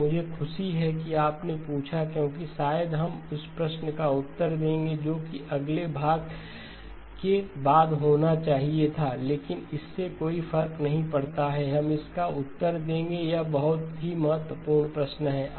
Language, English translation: Hindi, And I am glad you asked because maybe we will answer that question that was supposed to be after the next section, but that does not matter we will answer it, it is a very important question